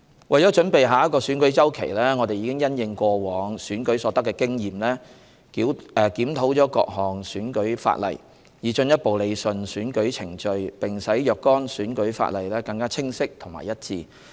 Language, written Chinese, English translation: Cantonese, 為準備下個選舉周期，我們已因應過往選舉所得的經驗，檢討了各項選舉法例，以進一步理順選舉程序並使若干選舉法例更清晰和一致。, In preparation for the next election cycle we have reviewed the electoral legislation to further rationalize the electoral procedures and improve the clarity and consistency of certain electoral laws in the light of the experience gained from previous elections